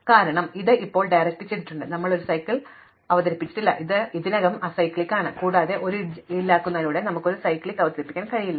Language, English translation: Malayalam, Because, it is still directed and we have not introduced any cycle, so it was already acyclic and by deleting an edge we cannot introduce a cycle